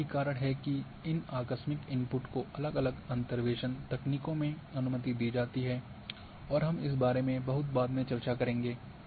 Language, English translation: Hindi, And that is why these abrupt inputs are allowed in different interpolation techniques and we will discuss little later about this